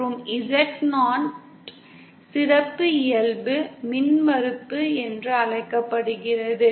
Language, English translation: Tamil, And Z0 is called as the characteristic impedance